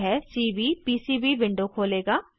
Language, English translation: Hindi, This will open the Cvpcb window